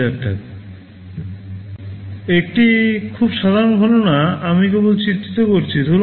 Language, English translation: Bengali, Just a very simple calculation I am just illustrating